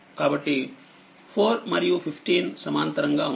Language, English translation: Telugu, So, 4 and 15 are in parallel